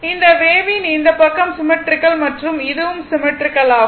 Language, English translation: Tamil, So, this wave this this side is symmetrical and this is also symmetrical